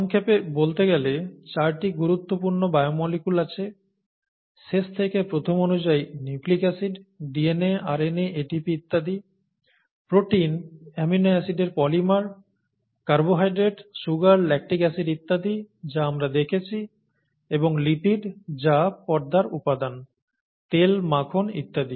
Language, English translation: Bengali, So to sum up, there are 4 fundamental biomolecules last, from last to the earliest, nucleic acids, DNA, RNA, ATP and so on, proteins, polymers of amino acids, carbohydrates, sugars, lactic acid and so on that we have seen and lipids which are membrane components, oil, butter and so on, right